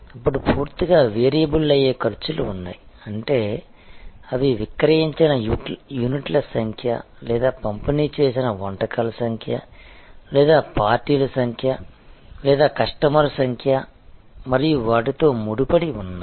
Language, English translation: Telugu, Then of course, there are costs which are totally variable; that means, they are quite tightly tied to the number of units sold or number of dishes delivered or number of parties served or number of customer served and so on